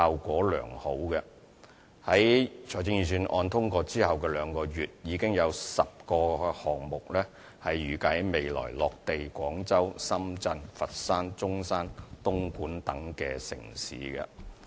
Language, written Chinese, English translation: Cantonese, 在財政預算案通過後兩個月，已有10個項目預計會在未來落地廣州、深圳、佛山、中山、東莞等城市。, This activity has brought about good outcomes that two months following the passage of the Budget there are already 10 projects in line to land on Guangzhou Shenzhen Foshan Zhongshan Dongguan and cities alike in the future